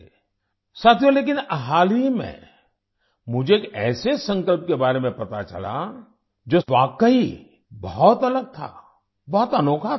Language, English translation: Hindi, Friends, recently, I came to know about such a resolve, which was really different, very unique